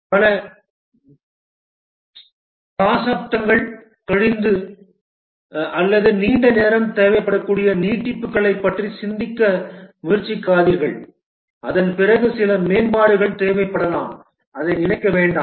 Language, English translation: Tamil, Don't try to make it think of extensions that may be required decades later or long time afterwards some enhancement may be required